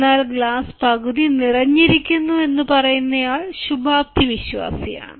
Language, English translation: Malayalam, the one he said the glass is half full is optimist